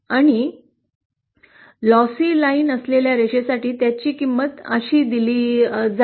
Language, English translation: Marathi, And for the lossless line, the value of, will be given like this